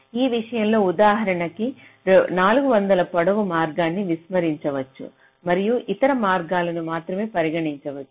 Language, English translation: Telugu, so in this case, for example, you can ignore the four hundred length path and you can only consider the other paths